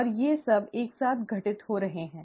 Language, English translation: Hindi, And all of these are simultaneously occurring